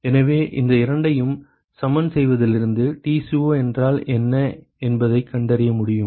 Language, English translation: Tamil, So, from here equating these two we should be able to find out what Tco is